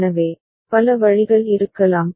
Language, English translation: Tamil, So, there could be multiple ways